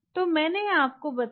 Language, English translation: Hindi, so i told you